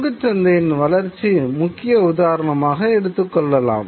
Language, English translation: Tamil, You know, the rise of the stock market is a very important example